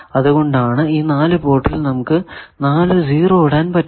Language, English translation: Malayalam, So, that is why in the 4 ports we have put the 4 0's other we still do not know